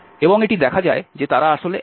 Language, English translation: Bengali, And this can be seen that they are actually the same